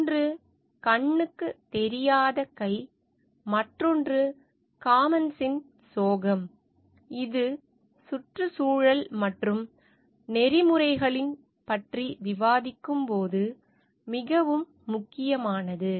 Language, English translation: Tamil, One is which is the invisible hand and the other is the tragedy of commons, which is very important, when we are discussing about environment and ethics